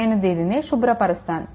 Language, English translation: Telugu, Now, I am clearing it right